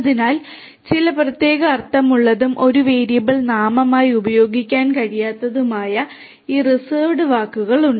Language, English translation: Malayalam, So, these you know there is this reserved you know words which have some special meaning and which cannot be used as a variable name